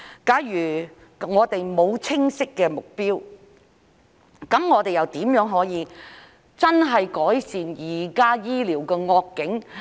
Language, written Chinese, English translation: Cantonese, 假如沒有清晰的目標，又如何可以真正改善現時醫療的惡境？, Without a clear goal in mind how can we genuinely improve the current poor healthcare condition?